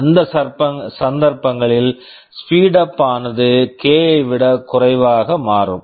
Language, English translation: Tamil, In those cases, the speedup will become less than k